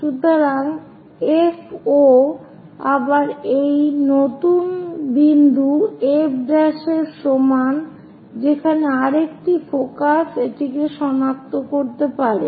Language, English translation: Bengali, So, FO again equal to this new point F prime where another focus one can really locate it